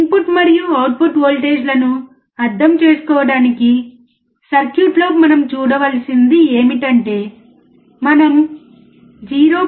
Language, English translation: Telugu, The circuit for understanding input and output voltage ranges what we have to see is, if we apply input voltage of 0